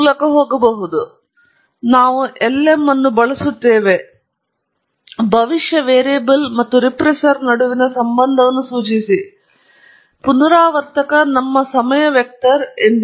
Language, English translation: Kannada, Again, the same story; we use lm, specify the relationship between the predicted variable and the regressor; the regressor is as usual our time vector